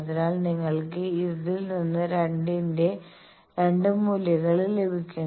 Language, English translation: Malayalam, So, you can get 2 values of r from that